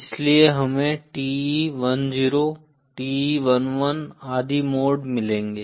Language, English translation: Hindi, So we will get modes like TE 10, TE 11 and so on